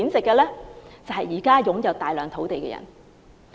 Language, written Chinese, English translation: Cantonese, 就是現時擁有大量土地的人。, Those are the people who own large amount of land